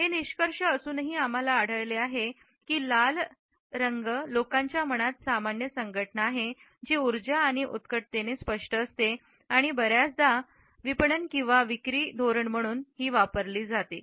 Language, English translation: Marathi, Despite these findings we find that the normal associations in people’s mind of red are with energy and passion which remain vivid and are often used as marketing strategy